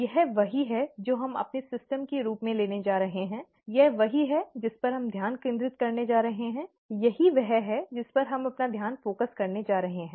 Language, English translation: Hindi, This is what we are going to take as our system, this is what we are going to concentrate on, this is what we are going to focus our attention on